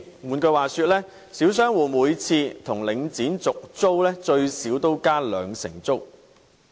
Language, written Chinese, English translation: Cantonese, 換言之，小商戶每次跟領展續租，最少也要加租兩成。, In other words each time small shop operators renew their leases with Link REIT the rents are increased by at least 20 %